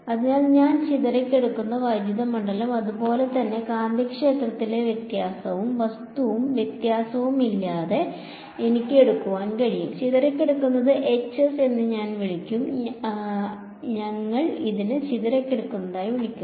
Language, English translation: Malayalam, So, that is what is the scattered electric field, similarly I can take the difference in the magnetic field with and without object and difference I will call as the Hs, s for scattered right we call this scattered